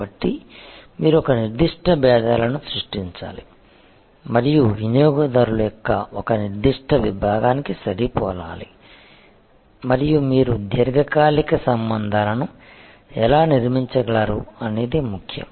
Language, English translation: Telugu, So, you have to create a certain set of differentiators and match a particular segment of customers and that is how you can build long term relationships